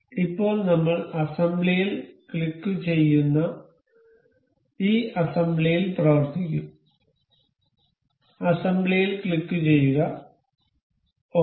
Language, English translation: Malayalam, So, now we will be working on this assembly we click on assembly, we click on assembly click ok